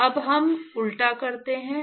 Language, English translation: Hindi, So now, we do the reverse